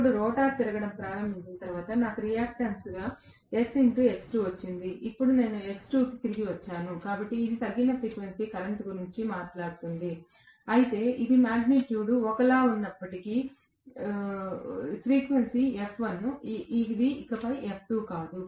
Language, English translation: Telugu, Now, after the rotor has started rotating, I got S X2 as the reactance now, I have gotten back to X2 itself, so this talks about reduced frequency current whereas this talks as though the magnitude is the same but, the frequency is F1, it is not F2 anymore